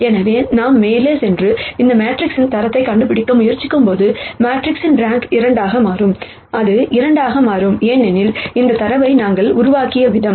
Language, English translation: Tamil, So, when we go ahead and try to nd the rank of this matrix, the rank of the matrix will turn out to be 2 and it will turn out to be 2 because, of the way we have generated this data